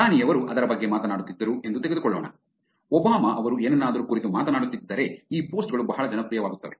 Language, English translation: Kannada, Let us take the prime minister was talking about it, if it was Obama who is talking about something these posts become very popular